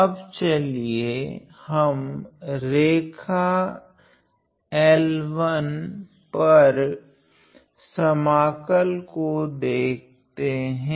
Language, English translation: Hindi, Now let us look at the integral over the line L 1 ok